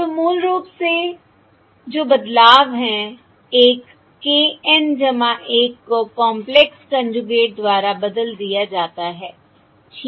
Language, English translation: Hindi, basically, one is k N plus one is replaced by the complex conjugate